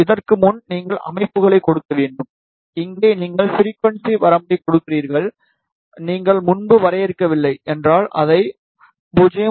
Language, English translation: Tamil, Before this, you need to give the settings, here you give the frequency range, if you have not defined it earlier give it from 0